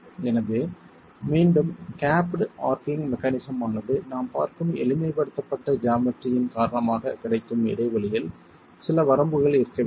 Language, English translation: Tamil, So the gap dashing mechanism again because of the simplified geometry that we are looking at needs to have some limit on the gap that is available